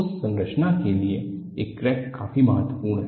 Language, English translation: Hindi, For that structure, this crack is critical